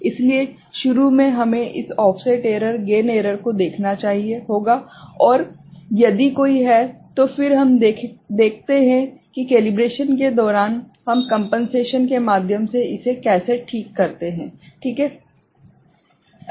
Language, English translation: Hindi, So, initially we have to look at this offset error, gain error, if there is any, and then we look at how we overcome it through compensation, during calibration right